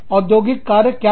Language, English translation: Hindi, What is the industrial action